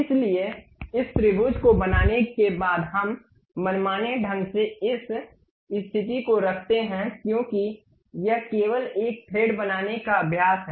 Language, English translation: Hindi, So, after constructing this triangle we arbitrarily place this position because it is just a practice to construct a thread